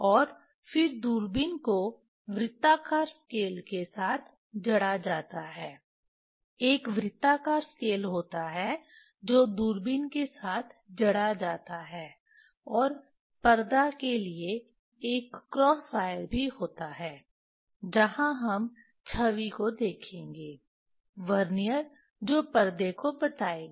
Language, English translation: Hindi, And then telescope fixed with circular scale there is a circular scale that is fixed with a telescope, and also there is a cross wire for screen where we will see the image, Vernier that will tell the screen